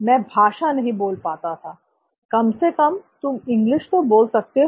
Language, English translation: Hindi, I couldn’t speak the language, at least you can speak English